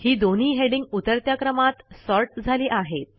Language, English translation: Marathi, You see that both the headings get sorted in the descending order